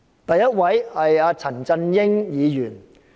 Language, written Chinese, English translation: Cantonese, 第一位是陳振英議員。, The first classmate is Mr CHAN Chun - ying